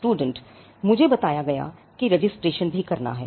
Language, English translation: Hindi, Student: I told even have to register